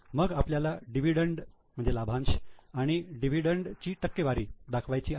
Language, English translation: Marathi, Then we have to show the dividend and dividend percentage